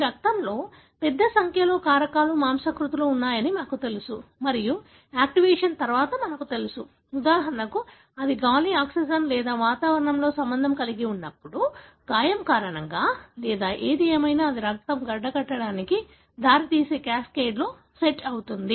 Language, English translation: Telugu, So, it is known that we have a large number of factors, proteins that are there in your blood and which, you know, upon activation, for example when it gets in contact with the air, oxygen or atmosphere, because of an injury or whatever, then it sets in a cascade which results in the blood clotting